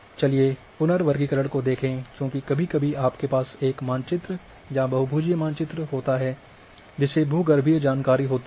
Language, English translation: Hindi, Let us look by reclassification because sometimes you are having a map, say a polygon map which is having a geological information